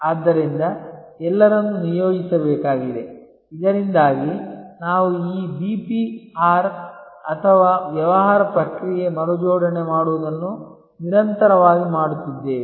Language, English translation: Kannada, So, all those need to be deployed, so that we are constantly doing this BPR or Business Process Reengineering